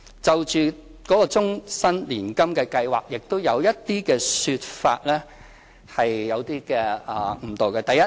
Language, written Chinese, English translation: Cantonese, 就終身年金計劃，亦有一些說法有誤導。, There are misleading remarks about the Life Annuity Scheme as well